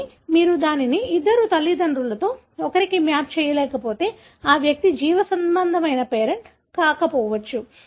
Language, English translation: Telugu, But, if you are unable to map it to one of the two parents, then that means that that individual may not be the biological parent